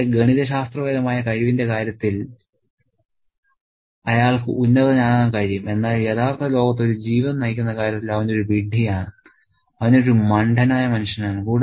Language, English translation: Malayalam, He can be superior in terms of his mathematical ability, but in terms of leading a life in the real world, he is an idiot